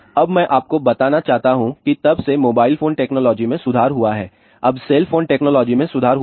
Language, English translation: Hindi, Now, I just want to tell you since then the mobile phone technology has improved now the cell phone technology has improved